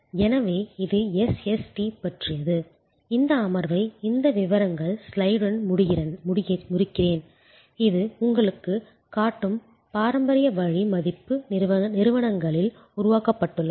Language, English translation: Tamil, So, that is all about SST, this session I will end with this particulars slide which shows you, the traditional way value has been created in organizations